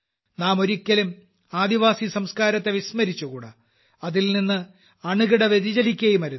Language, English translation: Malayalam, He had always emphasized that we should not forget our tribal culture, we should not go far from it at all